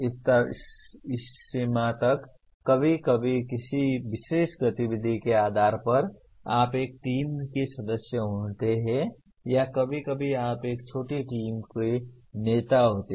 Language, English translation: Hindi, To that extent sometimes depending on a particular activity you are a member of a team or sometimes you are a leader of a small team